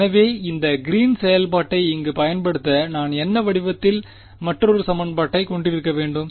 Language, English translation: Tamil, So, in order to use this Green’s function over here I should have another equation of the form what